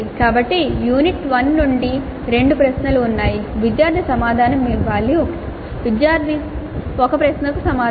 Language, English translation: Telugu, So there are two questions from unit 1, student has answer one question